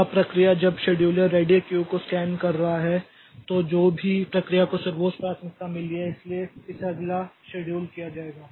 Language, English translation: Hindi, Now, the process when the scheduler is scanning the ready Q then whichever process has got the highest priority so that will be scheduled next